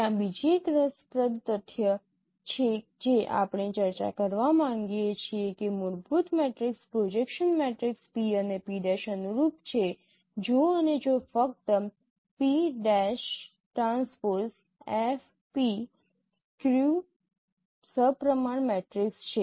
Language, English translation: Gujarati, There is another interesting fact that we have liked to discuss that the fundamental matrix corresponds to a projection matrix P and P prime if and only if P prime transpose F F is a skew symmetric matrix